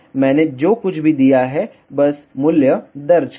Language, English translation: Hindi, Just enter the value whatever I have given